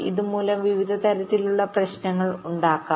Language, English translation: Malayalam, various kinds of problems may may arise because of this